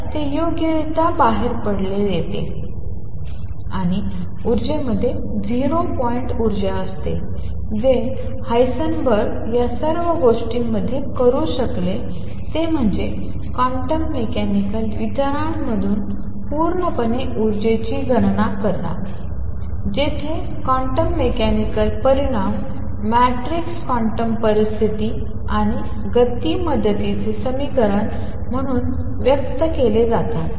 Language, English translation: Marathi, So, that comes out correctly and the energy has 0 point energy what Heisenberg has been able to do in all this is calculate the energy purely from quantum mechanical considerations, where the quantum mechanical, quantities are expressed as matrices quantum conditions and equation of motion help you determine these coefficients that he proposed